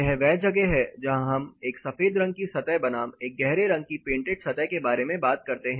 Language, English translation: Hindi, This is where we talk about a white painted surface versus a dark color painted surface